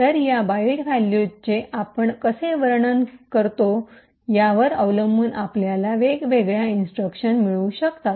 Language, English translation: Marathi, So, depending on how we interpret these byte values we can get different instructions